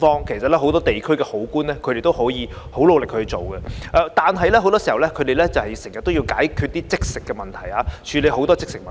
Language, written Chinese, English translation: Cantonese, 其實，很多地區的好官都很努力地做事，而很多時，他們要解決和處理一些"即食"的問題。, In fact many good government officials at the district level are very committed to their work and very often they need to handle and resolve some immediate problems